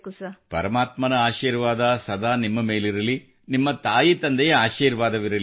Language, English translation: Kannada, May the blessings of All Mighty remain with you, blessings of motherfather be with you